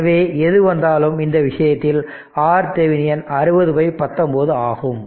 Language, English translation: Tamil, So, So, in this case, so R Thevenin will coming 60 by 19 ohm right